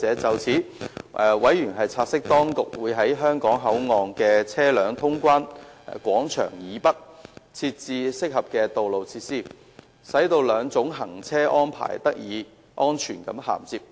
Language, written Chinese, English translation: Cantonese, 就此，委員察悉，當局會在香港口岸的車輛通關廣場以北，設置合適的道路設施，使兩種行車安排得以安全銜接。, In this regard they have noted that the Administration will provide suitable road facilities to the north of the vehicle clearance plaza at HKBCF to ensure a safe interface of the two driving arrangements